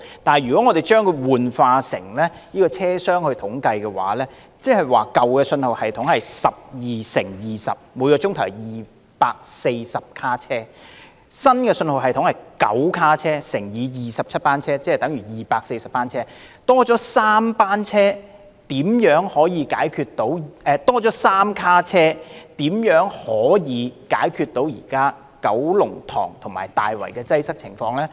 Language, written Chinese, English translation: Cantonese, 但是，當我們轉化以車廂來作統計，舊信號系統是12節車廂乘20班車，每小時有240節車廂，新信號系統是9節車廂乘27班車，即等於243節車廂，只多了3節車廂的載客量，這如何能解決現時九龍塘及大圍的擠迫情況？, However when we do the calculations in terms of train compartments under the old signalling system 12 train compartments multiplied by 20 trains is equal to 240 train compartments per hour while under the new signalling system 9 train compartments multiplied by 27 trains is equal to 243 train compartments per hour . With only an increase of carrying capacity of three train compartments why can it address the congestion problem during peak hours between Kowloon Tong and Tai Wai?